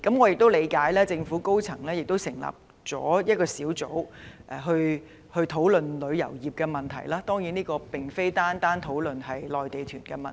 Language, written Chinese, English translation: Cantonese, 據我了解，政府已成立一個小組研究旅遊業問題，但小組當然並非僅是討論內地團問題。, As I understand it the Government has set up a team to study the problems of the travel industry . However the discussion of the team should certainly not be limited to the problems arising from Mainland tour groups